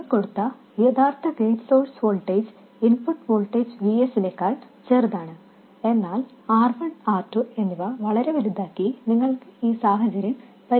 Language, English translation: Malayalam, The actual gate source voltage applied is smaller than the input voltage VS, but you can fix this situation by making R1 and R2 very large